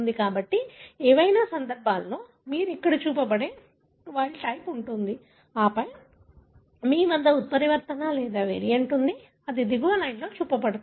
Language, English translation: Telugu, So, in either case you have a wild type that is shown here and then you have a mutant or a variant that is shown on the line below